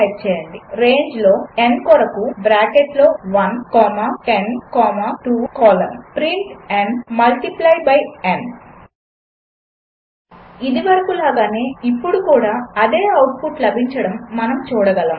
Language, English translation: Telugu, Type for n in range within bracket 1 comma 10 comma 2 colon print n multiply by n We can see that we got the same output as before